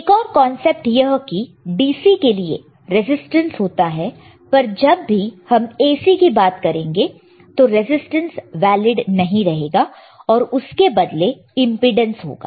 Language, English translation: Hindi, So, resistors another concept in DC is resistance right, but if you understand AC then the resistance is not any more valid and we have to understand the impedance